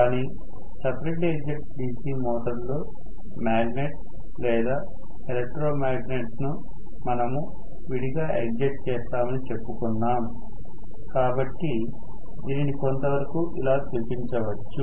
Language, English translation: Telugu, But in separately excited DC motor, although we said magnet or the electromagnet will be separately excited, so we may show it somewhat like this